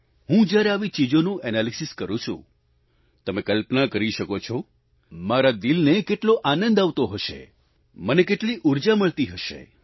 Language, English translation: Gujarati, When I analyse this, you can visualise how heartening it must be for me, what a source of energy it is for me